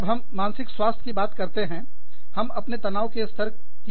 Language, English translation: Hindi, When we are talking about, health of our mind, we are talking about, our stress levels